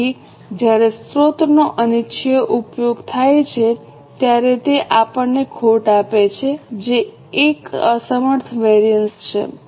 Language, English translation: Gujarati, So, when unwanted use of resource happens, it gives us a loss that is an inefficiency variance